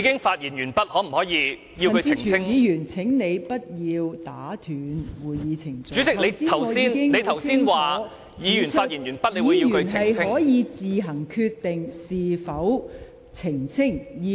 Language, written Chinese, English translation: Cantonese, 陳志全議員，請你不要打斷會議程序，剛才我已很清楚指出，議員可以自行決定是否作出澄清。, Mr CHAN Chi - chuen please do not interrupt the meeting proceedings . I have pointed out very clearly that a Member can decide whether to clarify